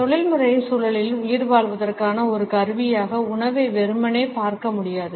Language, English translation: Tamil, Food cannot be viewed simply as a tool for survival in professional context